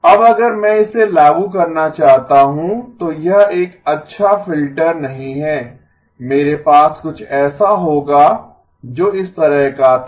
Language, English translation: Hindi, Now if I want to impose that then this is not a good filter, I would rather have something which had like this